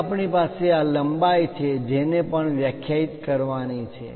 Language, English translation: Gujarati, Now, we have this length also has to be defined